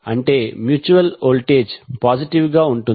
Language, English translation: Telugu, That means the mutual voltage will be positive